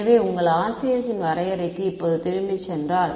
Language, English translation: Tamil, So, if you go back now to the definition of your RCS